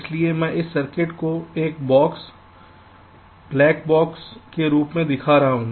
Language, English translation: Hindi, so i am showing this circuit as a box, black box